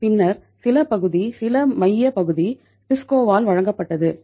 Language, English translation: Tamil, And then some part was, some central part was served by TISCO